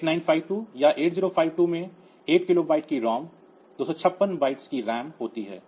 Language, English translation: Hindi, 8952 or 8052 it has got 8 kilobytes of ROM 256 bytes of RAM